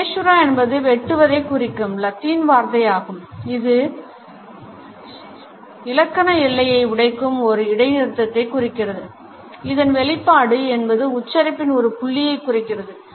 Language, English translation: Tamil, Caesura is a Latin word for cutting it suggests the break a grammatical boundary a pause which refers to a point of articulation